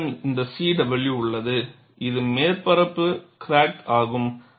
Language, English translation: Tamil, And you have this C W, which is the surface crack; that is what this denotes